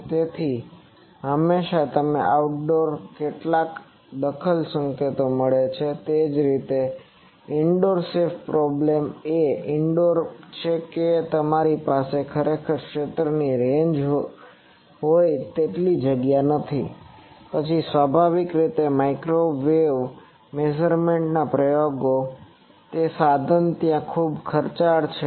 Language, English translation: Gujarati, So, always you get some interfering signals in outdoor, so is the indoor safe problem is in indoor you do not have that much space to have really a far field range, then obviously microwave measurement experiments it is instrumentation there quite expensive